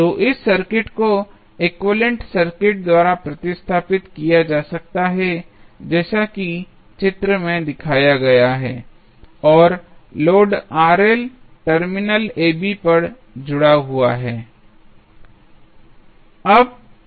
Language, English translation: Hindi, So, this circuit can be can be replaced by the equivalent circuit as shown in the figure and the load Rl is connected across the terminal AB